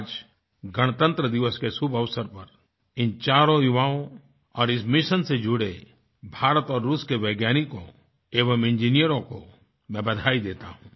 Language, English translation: Hindi, On the auspicious occasion of Republic Day, I congratulate these four youngsters and the Indian and Russian scientists and engineers associated with this mission